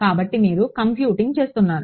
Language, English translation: Telugu, So, you are computing